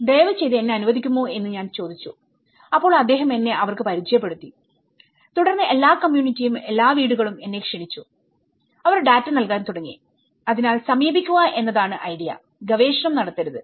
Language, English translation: Malayalam, I said can you please allow me so then he introduced me in the mass that is where, then onwards every community, every household is inviting me and they have started giving the data and so which means the idea is to approach to not to do a research